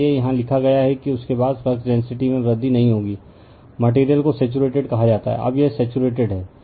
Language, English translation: Hindi, So, that is why it is written here that you are what you call that after that flux density will not increase, the material is said to be saturated; now it is saturated